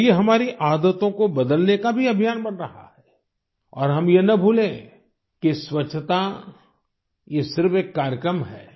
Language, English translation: Hindi, And this is also becoming a campaign to change our habits too and we must not forget that this cleanliness is a programme